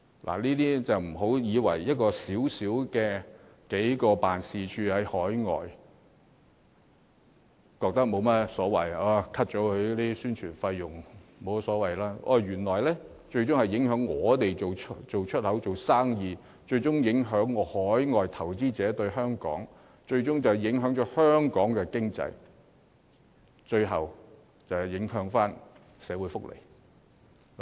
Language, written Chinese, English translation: Cantonese, 所以，不要以為削減數個駐海外經貿辦或其宣傳費用，沒有甚麼大不了，這最終原來會影響我們進行出口貿易、影響海外投資者對香港的感覺，更會影響香港經濟，最終波及社會福利。, So please do not ever think that cutting the expenditure or publicity expenses of just several overseas ETOs will not matter much at all . The fact is that this will eventually affect our export trade overseas investors impression of Hong Kong and even the Hong Kong economy and in turn our social welfare provision